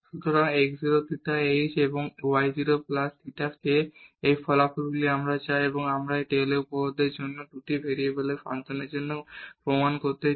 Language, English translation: Bengali, So, x 0 plus theta h and y 0 plus theta k and this is the result which we want to, we want to prove for this Taylor’s theorem for the functions of two variables